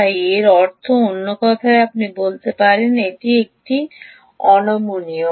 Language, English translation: Bengali, so that means, in other words, you can say it is flexible